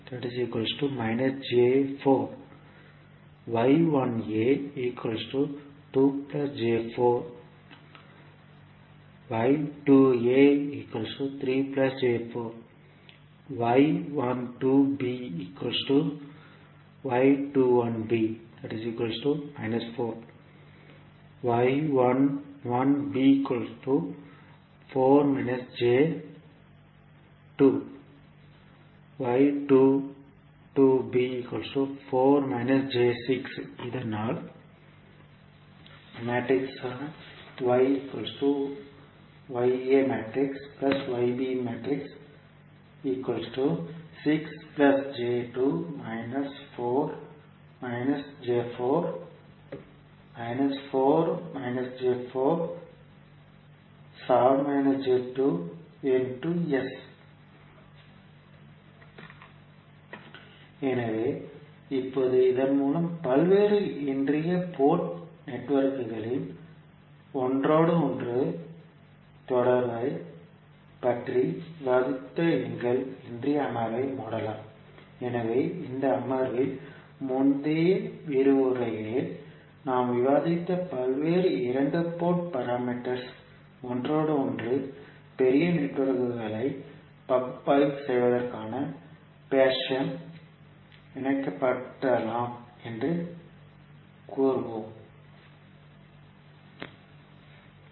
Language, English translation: Tamil, So now, with this we can close our today’s session in which we discussed about the interconnection of various two port networks, so in this session we can say that various two port parameters which we have discussed in previous lectures can be interconnected in any fashion to analyse the larger networks, thank you